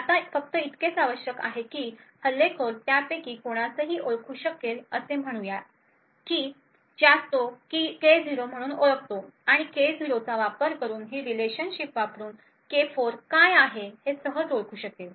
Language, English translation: Marathi, Now all that is required is the attacker identifies any one of them that is let us say he identifies K0 and using that K0 he can easily identify what K4 is using this relationship